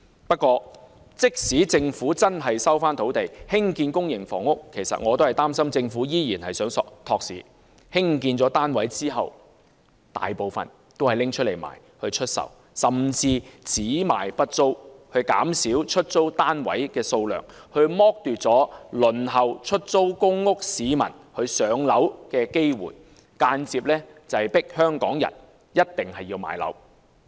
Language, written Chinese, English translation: Cantonese, 不過，即使政府真的收回土地興建公營房屋，我擔心政府依然是想"托市"，興建的單位大部分用來出售，甚至只賣不租，減少出租單位的數量，剝奪輪候出租公屋市民"上樓"的機會，間接迫香港人買樓。, However even if the Government recovers land for public housing construction my concern is that it may still attempt to boost the market by putting up most of the units for sale but not for rent . With less units for rent people on the waiting list of public rental housing PRH have less chance of being allocated a unit which indirectly compel Hong Kong people to purchase properties